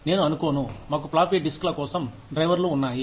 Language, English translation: Telugu, I do not think, we have drivers, for those floppy disks